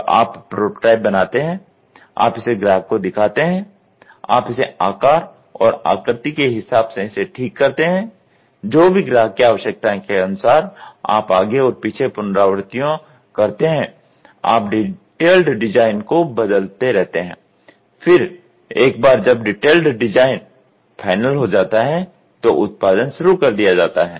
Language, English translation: Hindi, So, you make prototypes, you show it to customers, you fix it up in the shape size whatever is required, you do back and forth iterations, you keep changing the detailed design, then once the detailed design is done engineering releases done then gets into the production